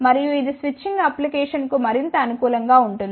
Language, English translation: Telugu, And, this one is more suitable for the switching applications